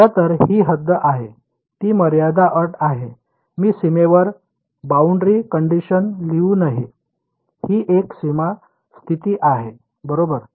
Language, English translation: Marathi, So, this is in fact, the boundary condition on yeah it is a boundary condition I should not write boundary condition on boundary it is a boundary condition all right